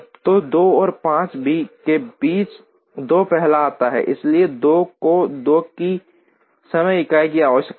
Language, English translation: Hindi, So, between 2 and 5, 2 comes first, so 2 requires time unit of 2